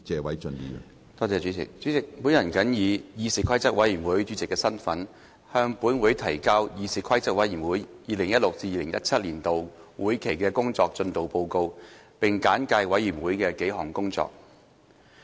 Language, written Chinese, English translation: Cantonese, 主席，我謹以議事規則委員會主席的身份，向本會提交議事規則委員會 2016-2017 年度會期的工作進度報告，並簡介委員會的數項工作。, President in my capacity as Chairman of the Committee on Rules of Procedure I submit to this Council the progress report of the Committees work during the legislative session of 2016 - 2017 . I will highlight several items of work of the Committee